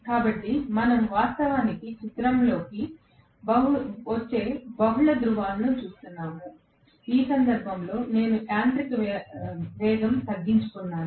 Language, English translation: Telugu, So, we are actually looking at multiple poles coming into picture, in which case I am going to have the mechanical speed decreasing